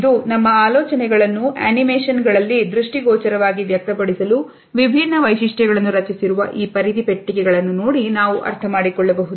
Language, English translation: Kannada, And it is an understanding of these bounding boxes that different facial features are created to visually express this idea in our animations as well as in our visuals